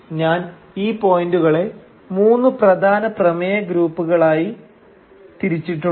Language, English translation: Malayalam, And I have divided the points into three main thematic groups